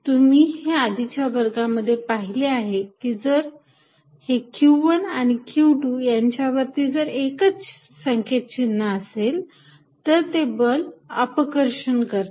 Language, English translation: Marathi, Now, you learnt in your previous classes that, if q 1 and q 2 are of the same sign, then the force is repulsive